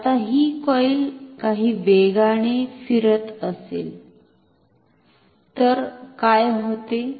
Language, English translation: Marathi, Now, what happens if say this coil is moving with some velocity